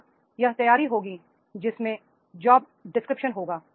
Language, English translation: Hindi, So here it will be the preparing the job descriptions